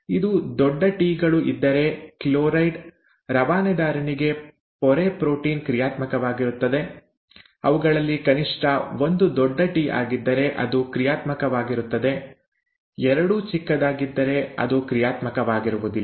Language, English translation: Kannada, If both capital Ts are present, then the membrane protein for chloride transporter is functional; if at least one of them is capital T, then it is functional; if both are small, then it is non functional